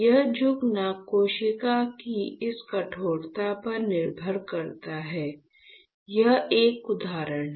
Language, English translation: Hindi, This bending depends on this stiffness of the cell, is not it